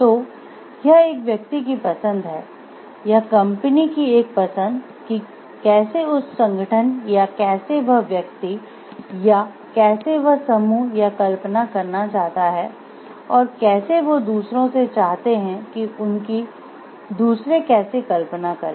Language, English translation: Hindi, So, it is a choice of the individual it is a choice of the company, how that organization or how that one individual or how that group wants to visualize itself, oneself and how they want others to visualize them also